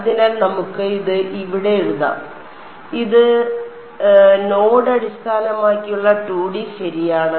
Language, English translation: Malayalam, So, let us just write this over here this is node based 2D ok